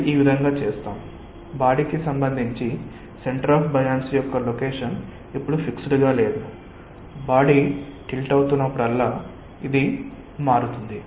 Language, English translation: Telugu, the difference again, i sum up is like this: the centre of buoyancy location is now not fixed with respect to the body, but it goes on evolving as the body is tilting